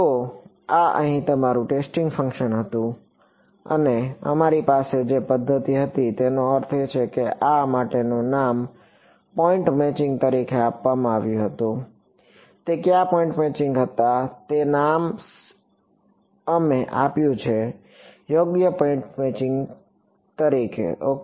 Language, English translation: Gujarati, So, this was your testing function over here and the method we had I mean name for this was given as point matching what point matching was the name we have given right point matching ok